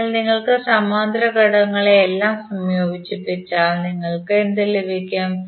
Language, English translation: Malayalam, So if you combine both all the parallel elements, what you will get